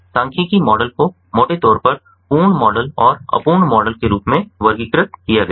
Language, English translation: Hindi, statistical models are broadly categorized as complete models and incomplete models